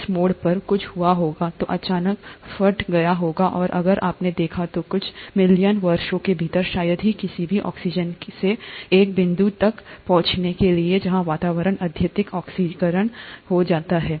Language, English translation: Hindi, Something must have happened at this turn, which would have led to the sudden burst, and if you noticed, within a few million years, from hardly any oxygen to reach a point where the atmosphere becomes highly oxidized